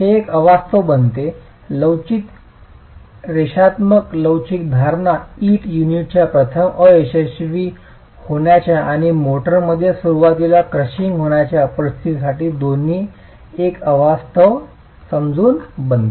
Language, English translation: Marathi, This becomes an unrealistic, the elastic, linear elastic assumption becomes an unrealistic assumption both for situations of the brick unit failing first or crushing happening in the motor early on